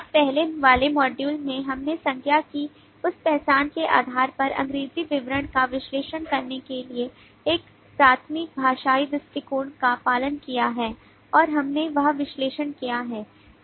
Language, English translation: Hindi, now in the earlier module we have followed a primarily a linguistic approach for analyzing the english description based on that identification of nouns and we have done that analysis